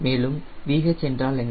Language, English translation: Tamil, h and what is v h